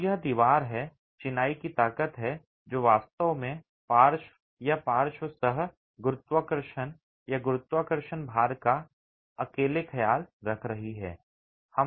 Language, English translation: Hindi, So, it's the wall, the strength of the masonry that's actually taking care of lateral come gravity or gravity loads alone